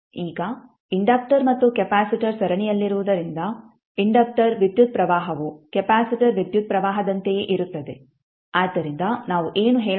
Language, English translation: Kannada, Now, since the inductor and capacitor are in series the inductor current is the same as the capacitor current, so what we can say